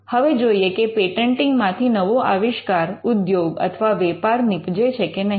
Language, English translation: Gujarati, Now, whether patenting results in a new invention industry or a market